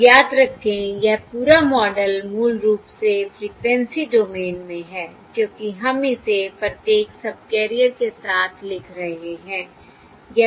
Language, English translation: Hindi, And remember, this whole model is basically in the frequency domain because we are writing it across each subcarrier